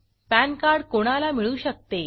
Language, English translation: Marathi, Facts about pan card